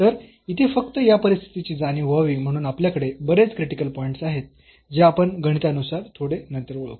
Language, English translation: Marathi, So, just to realize this situation here so we have many critical points which we will identify again mathematically little later